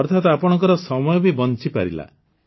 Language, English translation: Odia, Meaning, your time is also saved